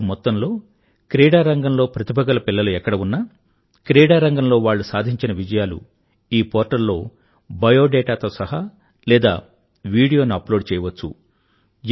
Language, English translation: Telugu, Any talented child who has an achievement in sports, can upload his biodata or video on this portal